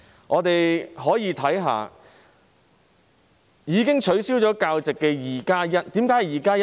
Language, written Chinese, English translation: Cantonese, 我們可以看看已經被取消教席的 "2+1" 宗個案，為何我會說是 "2+1"？, Let us see the two plus one cases involving the cancellation of teacher registration . Why do I say two plus one?